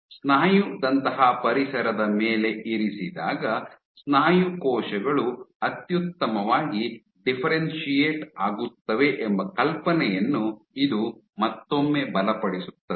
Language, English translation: Kannada, This once again reinforces the idea that muscle cells differentiate optimally when placed on a muscle like environment